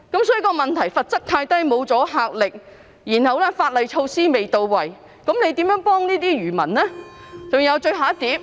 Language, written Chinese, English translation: Cantonese, 所以，問題是罰則太輕，沒有阻嚇力，法例措施未到位，這樣如何幫助漁民呢？, Hence the problem is that the penalty is too lenient carrying no deterrence . Given the inadequate legislative measures how can fishermen get any help?